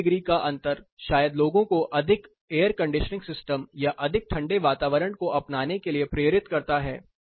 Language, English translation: Hindi, These 2 degree differences will probably induce people to adopt for more air conditioning system or getting into more cooler environment